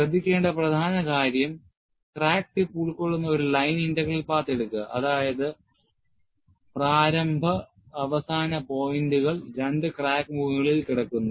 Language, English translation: Malayalam, The key point to note is, take a line integral path that encloses the crack tip, such that, the initial and end points lie on the two crack faces